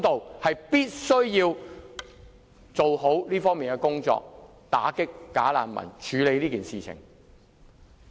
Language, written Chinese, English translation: Cantonese, 政府必須做好這方面的工作，打擊"假難民"，處理這件事。, The Government must get this done against the bogus refugees and deal with the matter